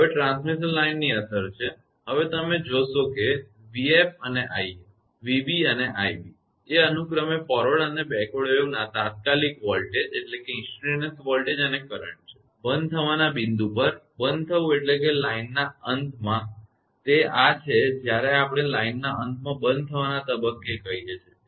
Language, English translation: Gujarati, Now is the affect of line termination now you see assume that v f and i f and v b and i b are the instantaneous voltage and current of forward and backward waves, respectively at the point of discontinuity, discontinuity mean at the end of the line; it is this is sometimes we call at the point of discontinuity at the end of the line